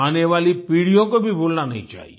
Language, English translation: Hindi, The generations to come should also not forget